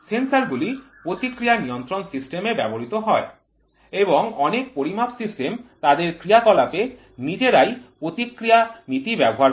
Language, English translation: Bengali, Sensors are used in feedbacks, sensors are used in feedback control systems and many measurement systems themselves use feedback principles in their operation